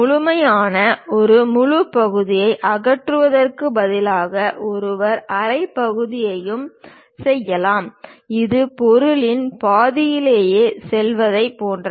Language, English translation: Tamil, Instead of removing complete full section, one can make half section also; it is more like go half way through the object